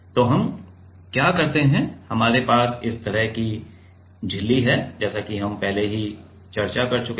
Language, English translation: Hindi, So, what we do we have the membrane like this as we have already discussed